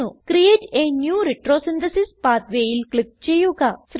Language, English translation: Malayalam, Click on Create a new retrosynthesis pathway